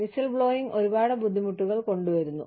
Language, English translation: Malayalam, Whistleblowing brings with it, a lot of difficulties